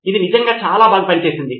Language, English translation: Telugu, It really worked very, very well